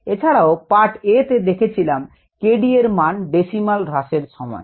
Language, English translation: Bengali, and also we found in part a the value of k d and the value of the decimal reduction time